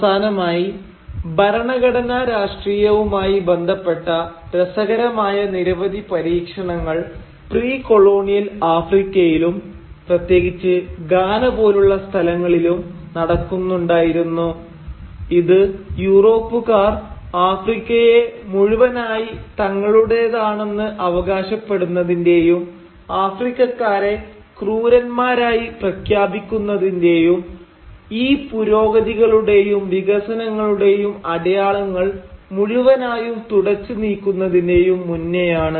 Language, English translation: Malayalam, And finally a lot of interesting experiments with constitutional politics was also going on in pre colonial Africa, especially in places like Ghana, before the Europeans forcibly came in to claim the whole of Africa for themselves and declaring the Africans as savages and brushing all these signs of progress and development aside